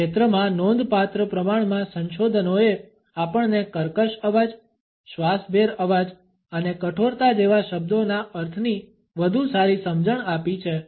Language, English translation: Gujarati, A considerable amount of research in this field has equipped us with a better understanding of the meaning of such terms as creaky voice, breathy voice and harshness